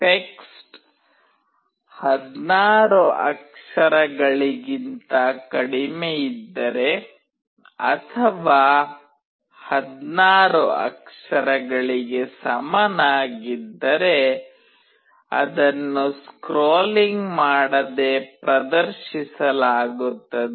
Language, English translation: Kannada, If the text is less than 16 character or equal to 16 character, it will be displayed without scrolling